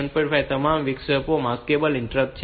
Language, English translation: Gujarati, 5 all these interrupts are maskable interrupt